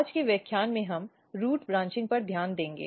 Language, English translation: Hindi, In today’s lecture we will focus on root branching